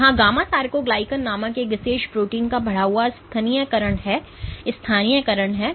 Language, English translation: Hindi, There is an increased localization of this particular protein called gamma sarcoglycan